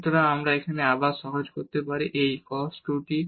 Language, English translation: Bengali, So, this we can again simplify to have this cos 2 t